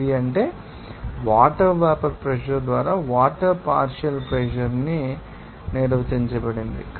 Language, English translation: Telugu, 8 that is defined basically partial pressure of water by vapor pressure of water